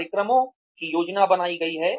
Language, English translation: Hindi, The programs are planned